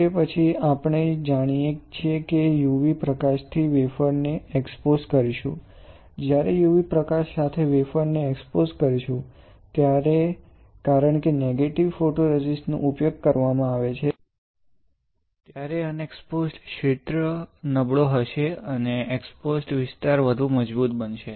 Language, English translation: Gujarati, After that as you know we would expose the wafer with UV light; when you expose the wafer with u v light since you are you have used negative photoresist, the unexposed region would be weaker, and the exposed region would be stronger